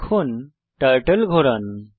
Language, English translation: Bengali, Lets now move the Turtle